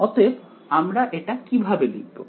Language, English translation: Bengali, So, how do I actually write this